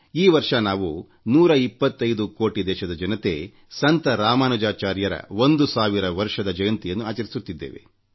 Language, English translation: Kannada, This year, we the hundred & twenty five crore countrymen are celebrating the thousandth birth anniversary of Saint Ramanujacharya